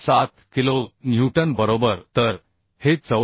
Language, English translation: Marathi, 147 kilonewton right So this is becoming 74